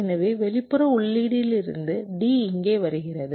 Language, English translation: Tamil, and this d inputs are coming from somewhere